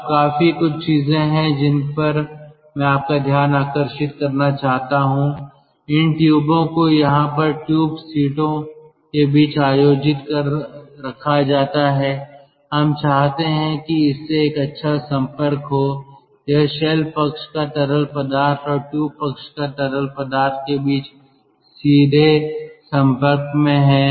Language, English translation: Hindi, these tubes are held between tube seats over here and we want that there is a good contact, ah, between of course it is in direct contact good contact between the shell side fluid and the tube side fluid